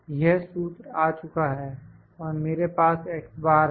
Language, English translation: Hindi, This formula is dragged and I had I have got the x bars